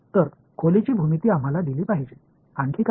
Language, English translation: Marathi, So, the geometry of the room should be given to us right, what else